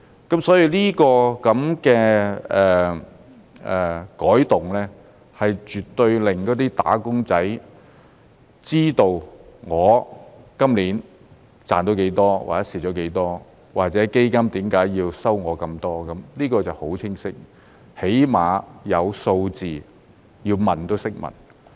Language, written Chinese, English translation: Cantonese, 因此，這個改動絕對令"打工仔"知道他今年賺到多少或蝕了多少，或者基金為何要收取他那麼多，這便很清晰，起碼有數字，要問也懂得如何問。, Therefore this change will certainly allow a wage earner to know how much he has gained or lost in the current year and why the fund charged him such a large amount of fees . This gives a very clear picture and at least there are figures so that wage earners know how to ask questions when in doubt